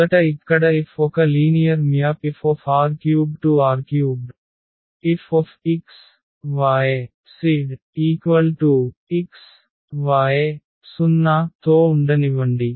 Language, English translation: Telugu, So, first here let F is a linear map here R 3 to R 3 with F x y z is equal to x y 0